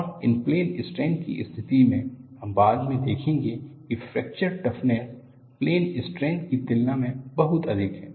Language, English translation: Hindi, And in plane stress condition, you would see later, a fracture toughness is much higher than a plane strain